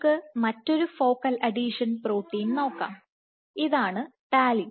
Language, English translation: Malayalam, Let us look at another focal adhesion protein, this is talin